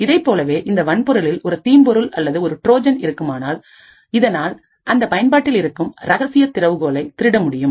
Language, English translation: Tamil, In a similar way a malware or a Trojan present in the hardware could steal the secret key in the application